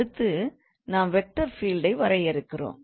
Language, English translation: Tamil, So that's how we define the vector field